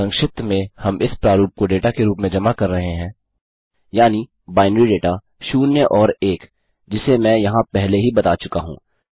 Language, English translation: Hindi, In short this means that were submitting this form in the form of data that is, binary data zeroes and ones which I mentioned earlier over here